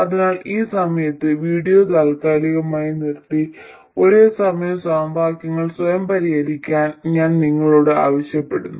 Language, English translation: Malayalam, So, at this point I would ask you to pause the video and solve these simultaneous equations by yourselves